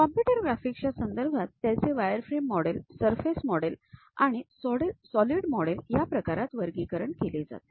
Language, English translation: Marathi, In terms of computer graphics the representation, they will be categorized as wireframe models, surface models and solid models